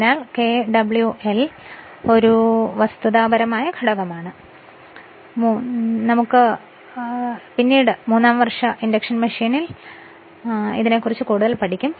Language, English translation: Malayalam, So, Kw1 is winding factor I am not discussing this here just you keep it in your mind, because more you will study in your electrical engineering in your third year induction machine